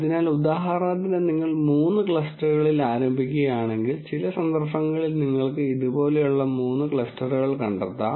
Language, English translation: Malayalam, So, for example, if you start with 3 clusters you might in some instances find 3 clusters like this